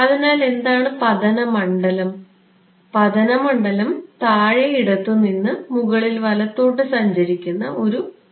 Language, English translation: Malayalam, So, what is the incident field, incident field is a wave travelling from bottom left to top right